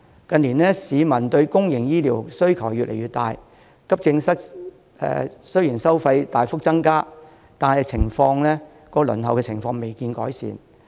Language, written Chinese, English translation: Cantonese, 近年市民對公營醫療的需求越來越大，急症室收費雖然大幅提高，但輪候情況未見改善。, With an increasing demand for public health care services from the community the waiting situation has not been improved despite a substantial increase in the fees and charges for the use of accident and emergency services